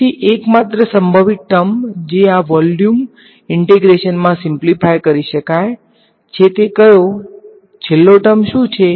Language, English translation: Gujarati, So, the only possible term that might simplify in this volume integration is which one, what about the very last term